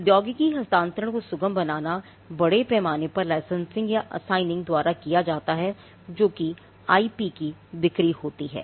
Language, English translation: Hindi, Facilitating technology transfer this is done largely by licensing or assigning which is a sale of the IP